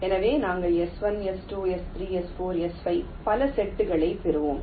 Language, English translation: Tamil, so we will be getting s one, s, two, s three, s, four, s, five, many sets